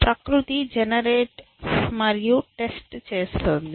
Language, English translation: Telugu, It is nature is doing generate and test